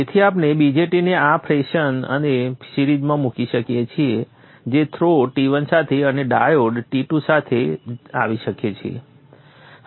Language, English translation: Gujarati, So we can place the BJT in this fashion in series there with the throw T1 and the diode can come along through T2